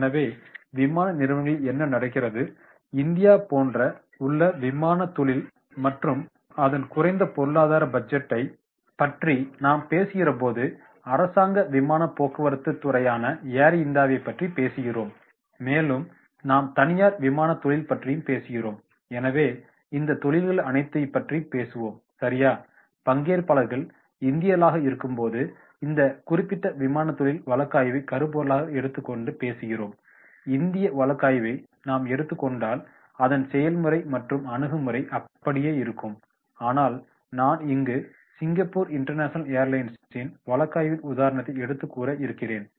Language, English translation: Tamil, So, what is happening into the airlines, airline industries like in India when we talk about budgetary and low economic aviation industries then when we talk about Air India that is government aviation industry, then we talk about the private aviation industry, so all these industry study right because here we are talking about the aviation industry and when participants are Indian we are taking this particular case study, we can take the Indian case study also, the method and approach will be remaining same but, I have taken this example of Singapore International Airlines